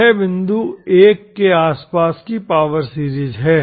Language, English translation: Hindi, This is the power series around the point 1